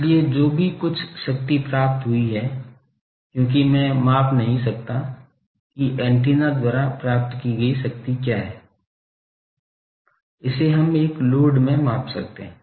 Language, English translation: Hindi, So, whatever total power received, because I cannot measure what is the power received by the antenna, that we can measure across a load